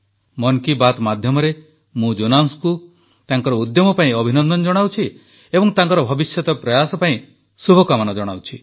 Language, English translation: Odia, Through the medium of Mann Ki Baat, I congratulate Jonas on his efforts & wish him well for his future endeavors